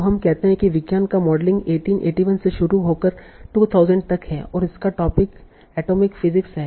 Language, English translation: Hindi, So let us say this is modeling of science is starting from 1881 to 2000 and the topic is atomic physics